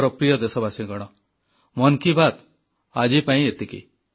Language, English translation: Odia, My dear countrymen, this is all that this episode of 'Mann Ki Baat' has in store for you today